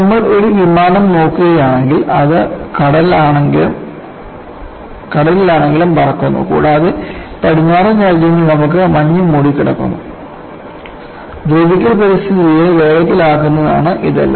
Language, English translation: Malayalam, So, if you look at an aircraft, it flies though sea, and also in western countries, you will have deposition of snow; all that induces corrosive environment